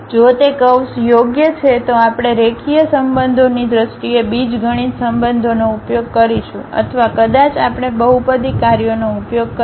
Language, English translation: Gujarati, If it is a curve fitting either we will use the algebraic relations in terms of linear relations or perhaps we will be using polynomial functions